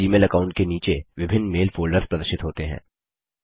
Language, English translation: Hindi, Under this Gmail account, various mail folders are displayed